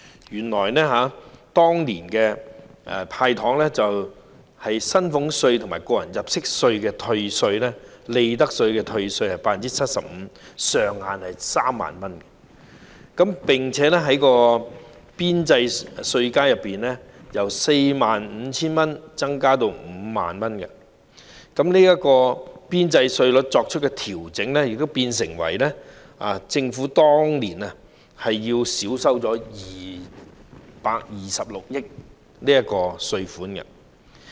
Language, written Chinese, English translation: Cantonese, 原來當年"派糖"措施下的薪俸稅、個人入息課稅及利得稅的退稅比率為 75%， 上限為3萬元，並且在邊際稅階中，由 45,000 元增加至 50,000 元，而當年邊際稅率的調整變相令政府少收226億元稅款。, Back then under the candy initiative the tax reduction rate for salaries tax tax under personal assessment and profits tax was 75 % and the ceiling was 30,000 per case while the marginal tax band was increased from 45,000 to 50,000 . This adjustment to the marginal tax band cost the Government 22.6 billion in tax money that year